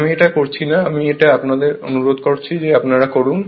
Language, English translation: Bengali, I am not doing it I request you please do this right